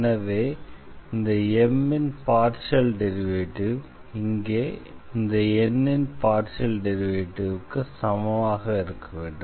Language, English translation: Tamil, So, the partial derivative of this function M should be equal to the partial derivative of this function N here